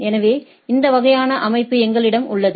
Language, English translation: Tamil, So, we have this sort of structure